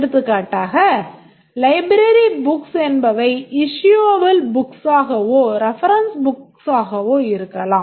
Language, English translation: Tamil, For example, the library books can be issuable books or reference books